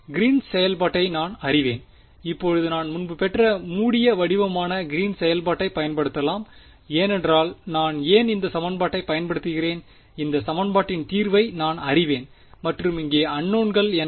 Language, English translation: Tamil, I also know Green's function and now I can use the closed form Green's ex expression which I derived previously why because I am using this equation and I know the solution on this equation and what is unknown